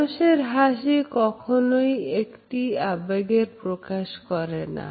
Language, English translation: Bengali, A smile is never expressive of a single emotion